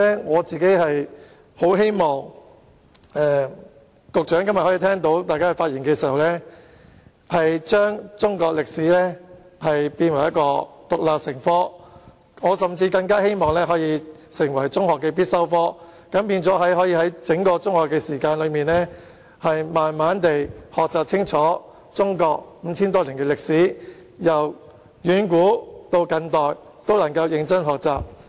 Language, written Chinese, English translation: Cantonese, 我很希望局長在聆聽大家的發言後，將中史獨立成科，甚至列為中學的必修科，以致學生可以在整段中學時期慢慢地學習清楚中國五千多年的歷史，由遠古至近代都能夠認真學習。, I very much hope that after listening to Members speeches the Secretary will designate Chinese History as an independent subject or even a compulsory subject in secondary school so that students can learn about Chinas 5 000 - odd years of history thoroughly at a gentle pace during the whole period of secondary schooling . I also hope that students will learn Chinese history from ancient to modern times conscientiously